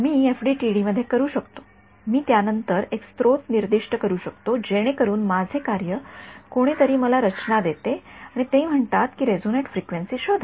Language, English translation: Marathi, I can in FDTD I can specify a source after that what supposing my task someone gives me structure and says find out the resonate frequency of the structure